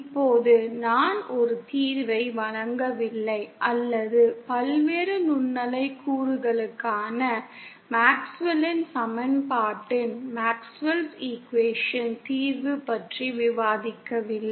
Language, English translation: Tamil, Now I have not given a solution or discussed about the solution of the MaxwellÕs equation for various microwave components